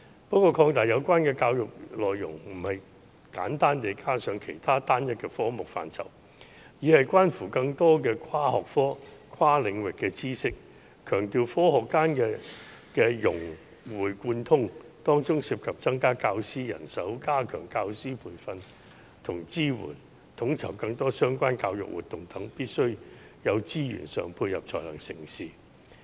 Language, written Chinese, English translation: Cantonese, 不過，擴大有關的教育內容不止是簡單地加上其他單一的科目範疇，而是關乎更多的跨學科和跨領域的知識，強調學科間的融會貫通，當中涉及增加教師人手，加強教師培訓及支援，統籌更多相關教育活動等，故此，必須有資源上的配合才能成事。, However enriching the content of the relevant education should not be limited to simply adding an additional subject . It should involve more multi - disciplinary and cross - domain knowledge with an emphasis on integration and interplay among the subjects . This proposal involves the addition of teaching staff stepping up teacher training and support coordination of more education - related activities etc